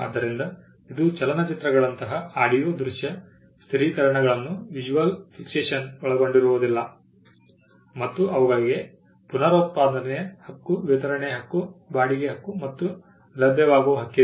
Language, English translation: Kannada, So, which means it does not cover audio visual fixations such as motion pictures and they have a right of reproduction, right of a distribution, right of rental and right of making available